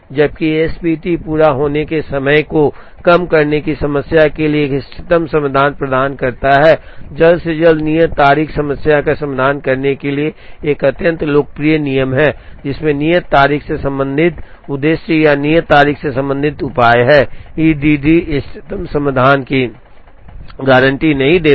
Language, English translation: Hindi, While the S P T provides an optimum solution, to the problem of minimizing sum of completion times, earliest due date is an extremely popular rule to address problem that have due date related objectives or due date related measures, E D D does not guarantee the optimum solution